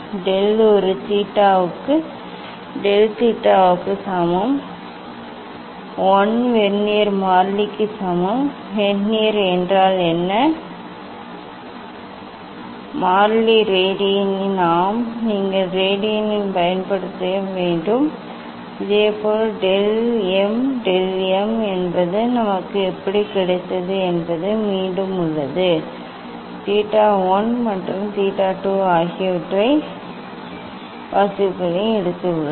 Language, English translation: Tamil, del A equal to del theta, equal to 1 Vernier constant; what is the Vernier constant, in radian yes you have to use in radian Similarly for del m, del m also how we got is the again, we have taken two reading theta 1 and theta 2